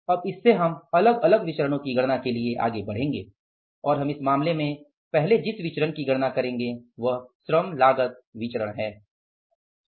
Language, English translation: Hindi, Now the from this we will now be going further for calculating the different variances and first variance we will be calculating in this case will be labor cost variance